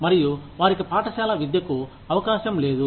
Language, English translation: Telugu, And, they have no chance of school education